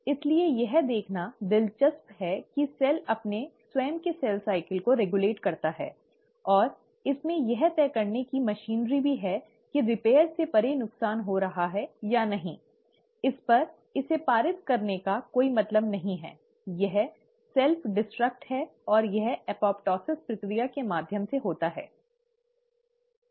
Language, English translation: Hindi, So it's interesting to see that the cell regulates its own cell cycle, and it also has machinery in place to decide if there are damages happening beyond repair, it's no point passing it on, just self destruct, and that happens through the process of apoptosis